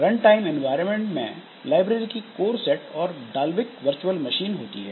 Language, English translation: Hindi, Runtime environment includes a course set of libraries and Dalvik virtual machine